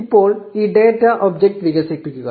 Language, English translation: Malayalam, Now expand this data object